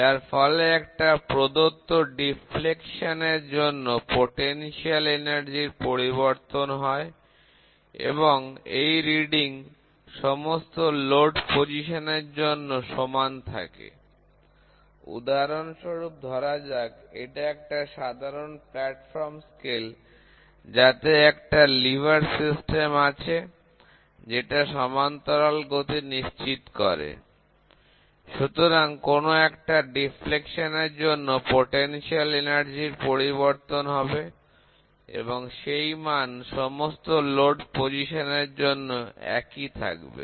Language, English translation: Bengali, So, that the potential energy change for a given deflection and hence the reading is the same at all load positions, for example, this is traditional platform scales have a lever system ensuring parallel motion, so that the potential energy change for a given deflection and hence the reading is the same at all load positions